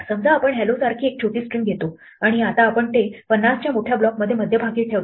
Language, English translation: Marathi, Suppose, we take a short string like 'hello' and now we center it in a large block of say 50